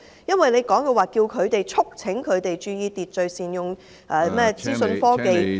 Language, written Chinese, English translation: Cantonese, 因為局長提到促請店鋪注意秩序，並善用資訊科技......, The Secretary has mentioned about appealing to the shops to observe order and use information technology